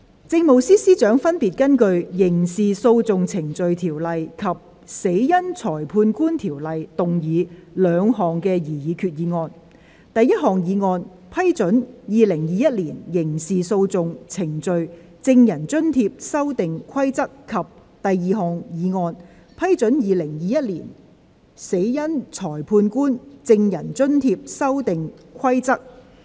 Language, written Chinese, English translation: Cantonese, 政務司司長分別根據《刑事訴訟程序條例》及《死因裁判官條例》，動議兩項擬議決議案：第一項議案：批准《2021年刑事訴訟程序規則》；及第二項議案：批准《2021年死因裁判官規則》。, The Chief Secretary for Administration will move two proposed resolutions under the Criminal Procedure Ordinance and the Coroners Ordinance respectively First motion To approve the Criminal Procedure Amendment Rules 2021; and Second motion To approve the Coroners Amendment Rules 2021